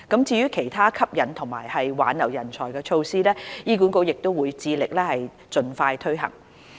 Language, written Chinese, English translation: Cantonese, 至於其他吸引和挽留人才措施，醫管局會致力盡快推行。, HA will strive to implement other measures to attract and retain talents as expeditiously as possible